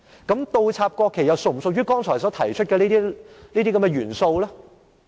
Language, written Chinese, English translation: Cantonese, 那麼倒插國旗又是否屬於剛才所提出的元素呢？, If so does the act of inverting the national flags come under the elements mentioned just now?